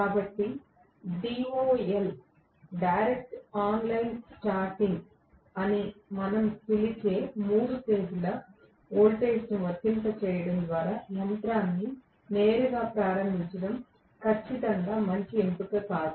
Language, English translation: Telugu, So, it is definitely not a good option to start the machine directly by applying the three phase voltages which we call as DOL, we call that as direct online starting